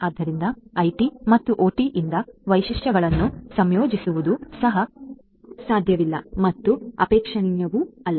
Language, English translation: Kannada, So, simply integrating features from IT and OT is also not possible and is not desirable